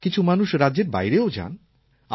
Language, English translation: Bengali, Some people also go outside their states